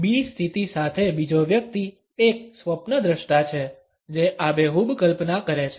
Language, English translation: Gujarati, The second person with the position B is rather a dreamer who happens to have a vivid imagination